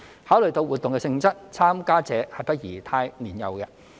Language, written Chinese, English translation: Cantonese, 考慮到活動的性質，參加者不宜太年幼。, Considering the nature of such activities we do not think our participants should be too young